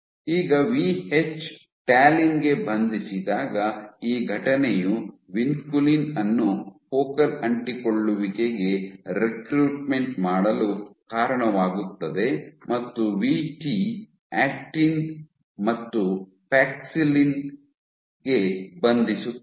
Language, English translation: Kannada, Now, binding of Vh, When Vh binds to talin this event leads to recruitment of vinculin to focal adhesions and Vt as I said binds to actin and paxillin